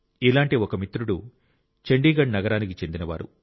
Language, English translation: Telugu, One of our friends hails from Chandigarh city